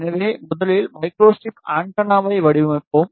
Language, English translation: Tamil, So, we will design micro strip antenna first